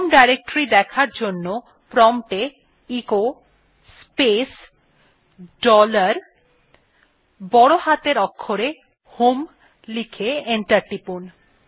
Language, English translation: Bengali, To see the home directory type at the prompt echo space dollar HOME in capital and press enter